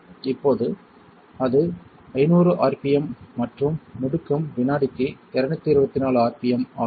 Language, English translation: Tamil, Now it is 500 rpm and the acceleration is 224 rpm per second